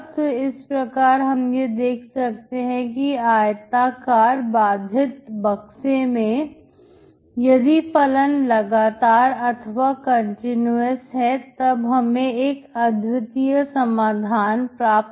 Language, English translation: Hindi, So in this rectangular bounded box, if the functions are continuous, you will have the unique solution